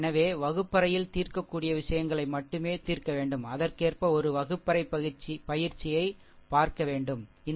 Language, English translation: Tamil, So, only we have only we have to solve those things which can be solvable in the classroom as a classroom exercise accordingly we will see, right